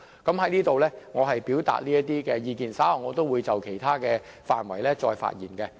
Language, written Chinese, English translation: Cantonese, 我在此表達這些意見到此為止，稍後會就其他範圍再發言。, I shall stop expressing my views here . I will speak again on other areas later in the meeting